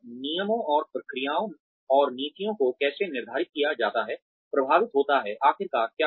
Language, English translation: Hindi, How the rules and the procedures and the policies, that are laid down, influenced, what ultimately happened